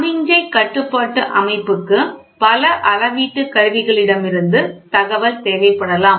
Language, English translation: Tamil, Then the signal control system may require information from many measuring instruments